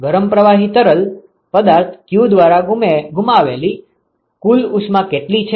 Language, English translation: Gujarati, What is the total heat that is lost by the hot fluid q